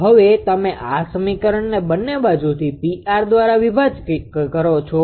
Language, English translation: Gujarati, Now what do you do this equation both side you divide by P R right both side P r